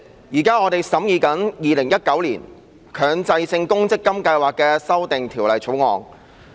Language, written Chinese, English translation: Cantonese, 主席，我們現正審議《2019年強制性公積金計劃條例草案》。, President we are deliberating on the Mandatory Provident Fund Schemes Amendment Bill 2019 the Bill now